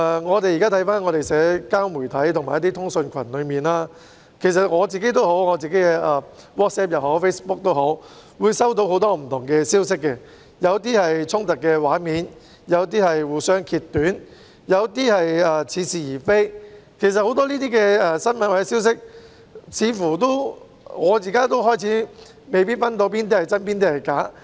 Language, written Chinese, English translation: Cantonese, 看看現時的社交媒體和通訊群組，例如我亦透過個人的 WhatsApp 或 Facebook 收到不同的消息，有些是衝突畫面、有些是互相揭短、有些則似是而非，對於這些新聞或消息，似乎我現在也開始未能分辨哪些是真、哪些是假。, Take a look at the social media and messaging groups nowadays for instance I have also received different messages through my personal WhatsApp or Facebook accounts some of them being images of clashes some being demonization of the other side whereas some are specious . As regards such news or messages it appears that even I am now unable to tell which ones are true and which are false